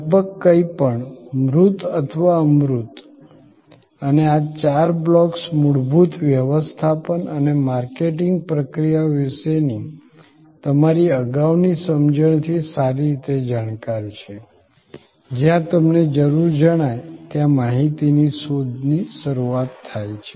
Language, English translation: Gujarati, Almost anything, tangible or intangible and these four blocks are well known from your previous understanding of basic management and marketing processes, information search that is where it starts were you felt the need